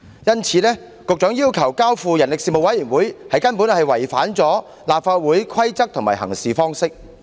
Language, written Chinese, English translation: Cantonese, 因此，局長要求把《條例草案》交付人力事務委員會處理，根本是違反了立法會的規則及行事方式。, Therefore the Secretarys request of referring the Bill to the Panel on Manpower is indeed a violation of the rules and work practices of the Council